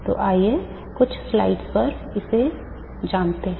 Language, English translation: Hindi, So let me go back to some of the slides